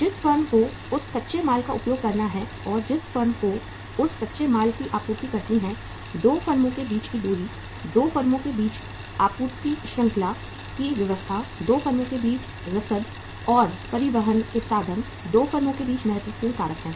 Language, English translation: Hindi, The firm who has to make use of that raw material and the firm who has to supply that raw material, the distance between the 2 firms, the supply chain arrangements between the 2 firms, the logistics between the 2 firms and the means of transportation in between the 2 firms are important factors